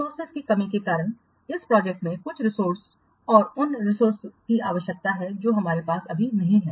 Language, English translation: Hindi, The project requires some resources and those resources we don't have right now